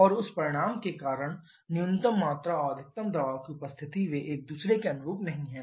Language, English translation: Hindi, And because of result of that the combustion the appearance of minimum volume and maximum pressure they are not corresponding to each other